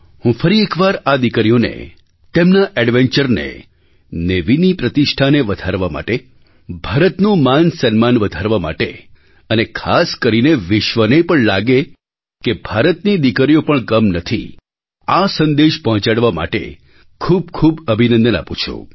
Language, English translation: Gujarati, Once again, I congratulate these daughters and their spirit of adventure for bringing laurels to the country, for raising the glory of the Navy and significantly so, for conveying to the world that India's daughters are no less